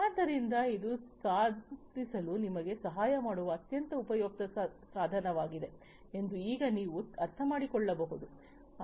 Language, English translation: Kannada, So, now you can understand that this is a very useful tool that can help you achieve it